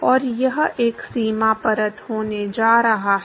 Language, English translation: Hindi, And it going to be a boundary layer